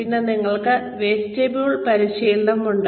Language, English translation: Malayalam, Then, we have vestibule training